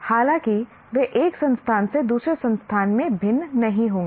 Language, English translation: Hindi, Though they will not be that different from one institution to another